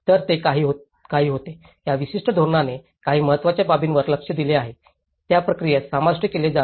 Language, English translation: Marathi, So, they have been some, this particular strategy have addressed some key issues, that has to be included in the process